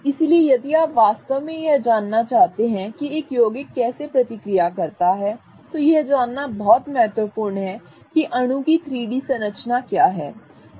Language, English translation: Hindi, So, if you want to really get a feel of how a compound can react, it is very important to know what is the 3D structure of the molecule